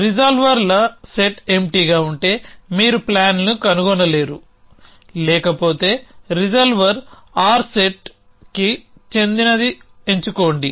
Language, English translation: Telugu, If the set of resolvers empty then you cannot you find of plan else choose resolver R belong to set